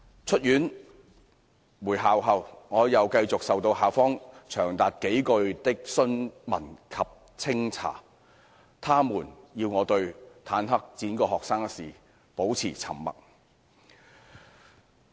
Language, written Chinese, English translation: Cantonese, 出院回校後，我又繼續受到校方長達數個月的詢問及清查，他們要我對坦克輾過學生一事保持沉默。, After discharge and return to the school I continued to be subjected to questioning and investigation by the school for as long as a few months . They wanted me to remain silent about tanks running over students